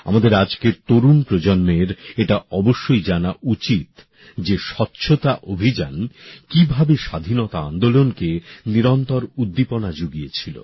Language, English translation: Bengali, Our youth today must know how the campaign for cleanliness continuously gave energy to our freedom movement